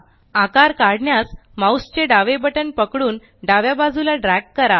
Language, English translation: Marathi, Place the cursor on the page, hold the left mouse button and drag downwards and sideways